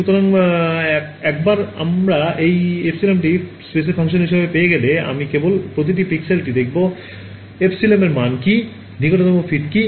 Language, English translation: Bengali, So, once I have got my this epsilon as a function of space, I just look up each pixel what is the value epsilon, what is the nearest fit